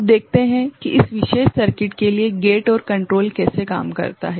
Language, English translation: Hindi, Now, let us see how the gate and control works for this particular circuit